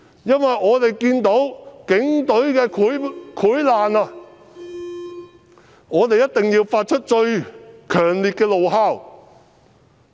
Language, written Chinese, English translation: Cantonese, 因為我們看到警隊的潰爛，我們一定要發出最強烈的怒吼。, It is because we have seen the rotting of HKPF and we must let out the loudest roar in anger